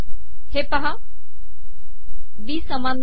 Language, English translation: Marathi, Not equal to B